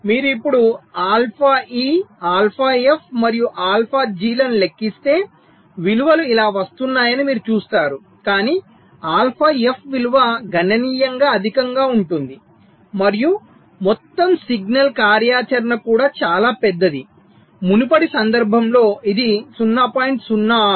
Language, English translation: Telugu, so if you calculate now alpha e, alpha f and alpha g, you will see the values are coming like this, but the value of alpha f is significantly higher, right, and the total signal activity is also much larger